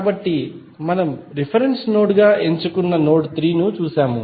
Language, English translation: Telugu, So, we have seen that the node 3 we have chosen as a reference node